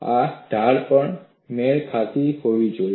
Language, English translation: Gujarati, This slope also should match